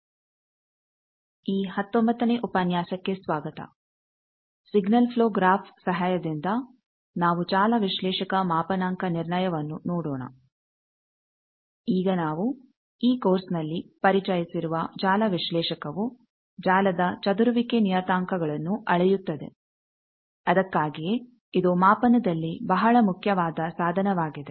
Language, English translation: Kannada, Now, network analyser we have introduced in this course that it measures scattering parameters of a network that is why it is a very important instrument in measurement